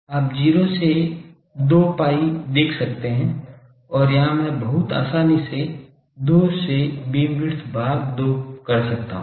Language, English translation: Hindi, You see 0 to 2 pi I can do and here I can very easily do beamwidth by 2